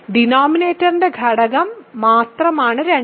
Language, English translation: Malayalam, Only factor of denominator is 2